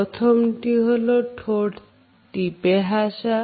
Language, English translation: Bengali, Number 1, the tight lipped smile